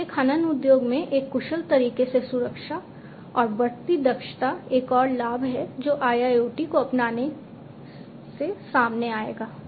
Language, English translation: Hindi, So, in an efficient manner safety and increasing efficiency in the mining industry is another benefit that will come out from the adoption of IIoT